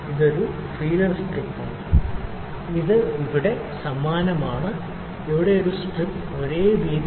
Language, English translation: Malayalam, So, this is feeler strip it is same here and here this is only one strip same width here